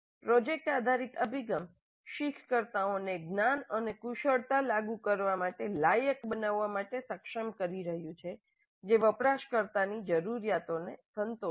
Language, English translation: Gujarati, The project based approach is enabling learners to apply knowledge and skills to create an artifact that satisfies users needs